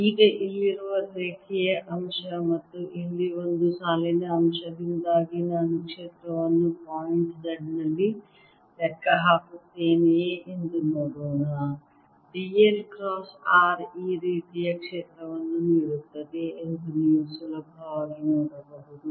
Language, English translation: Kannada, now let see if i calculate the field at point z, due to the line element here and a line element here, you can easily see that d, l cross r will give a field going like this